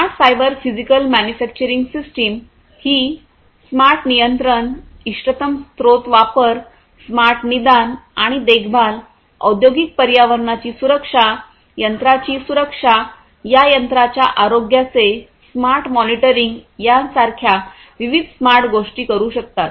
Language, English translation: Marathi, So, these smarter cyber physical manufacturing systems can perform different things such as smart control, optimal resource utilization, smart diagnostics and maintenance, safety, safety of the industrial environment, safety of these machines, smart monitoring of the health of these machines